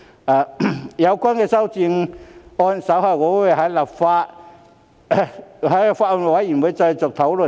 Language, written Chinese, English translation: Cantonese, 至於有關的修正案，我稍後會在法案委員會再作討論。, As for the relevant amendment I will bring it up for discussion at the Bills Committee later